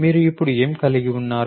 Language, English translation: Telugu, So, what did you have now